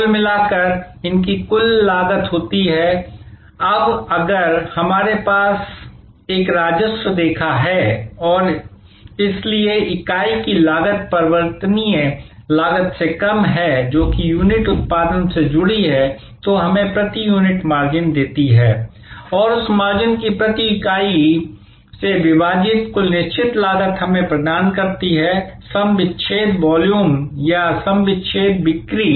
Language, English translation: Hindi, Together they cost the total cost, now if we have a revenue line and so the unit cost minus the variable cost, which is linked that unit production gives us the margin per unit and the total fixed cost divided by that margin per unit gives us the break even volume or the break even sales